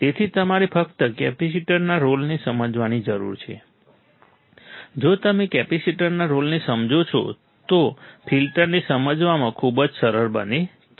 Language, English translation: Gujarati, So, you have to just understand the role of the capacitor, if you understand the role of capacitor, the filter becomes very easy to understand right